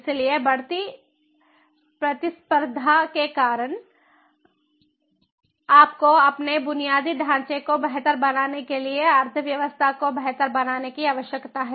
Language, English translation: Hindi, so, because of the ever increasing competitiveness, you need to improve, you need to improve your infrastructure, the economy, to make it smart